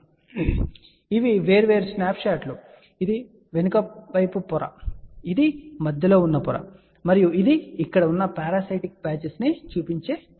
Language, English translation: Telugu, So, these are the different snapshots, this is the backside layer, this is the in between layer and this is the top layer which shows the parasitic patches over here